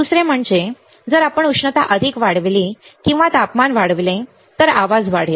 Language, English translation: Marathi, Second is if we increase the heat more or increase the temperature, the noise will increase